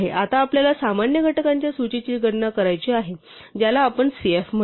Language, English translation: Marathi, Now we want to compute the list of common factors, which we will call cf